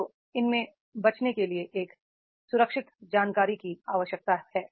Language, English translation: Hindi, So to avoid this, it is required a secure information